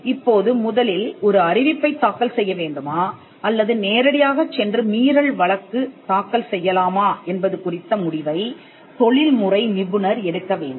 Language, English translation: Tamil, Now, this is a call that the professional has to take as to whether to go for file a notice first or whether to go directly and file an infringement suit